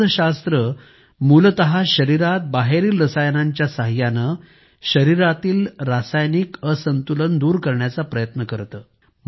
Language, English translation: Marathi, Pharmacology is essentially trying to fix the chemical imbalance within the body by adding chemicals from outside